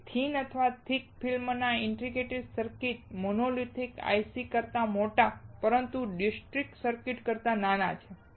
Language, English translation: Gujarati, So, thin and thick film integrated circuits larger than monolithic ICs but smaller than discrete circuits